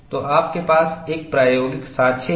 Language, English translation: Hindi, So, you have an experimental evidence